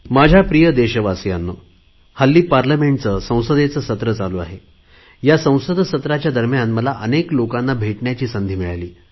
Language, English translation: Marathi, My dear countrymen these days, the Parliament Session is going on, and during the Parliament Session, I get to meet many people from across our nation